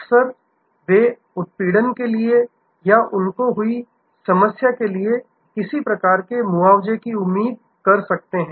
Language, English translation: Hindi, Often, they may expect some kind of compensation for the harassment or for the problem they have had